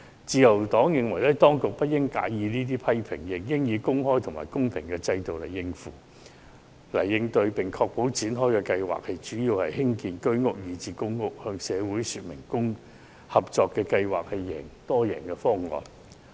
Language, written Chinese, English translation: Cantonese, 自由黨認為，當局不應介意這些批評，而應以公開和公平的制度加以應對，並確保相關發展項目主要以興建居屋以至公屋為目的，向社會證明合作計劃是多贏方案。, The Liberal Party believes that instead of taking these criticisms to heart the Government should respond to them by adopting an open and transparent system in ensuring that the relevant development projects would gear mainly towards the construction of Home Ownership Scheme―even public rental housing―flats and proving to society that the partnership approach is a multi - win option